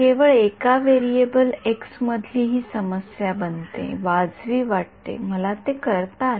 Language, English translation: Marathi, This becomes a problem only in one variable x right, sounds reasonable I could do that right